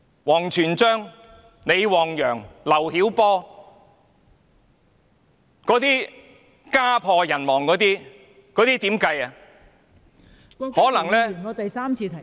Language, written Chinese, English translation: Cantonese, 王全璋、李旺陽、劉曉波等家破人亡的情況，大家如何看待呢？, As for the deaths and broken families in cases of WANG Quanzhang LI Wangyang and LIU Xiaobo what do Members think?